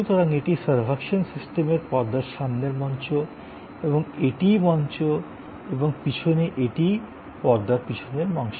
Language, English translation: Bengali, So, this is the front stage of the servuction system and this is the on stage and behind is this is the back stage